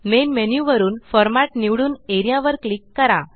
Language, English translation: Marathi, From the Main menu, select Format and click Area